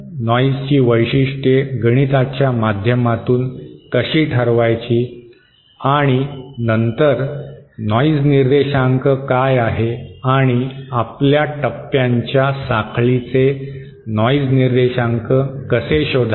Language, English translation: Marathi, How to characterise noise mathematically and then what is noise figure and how to find out the noise figure of a chain of our stages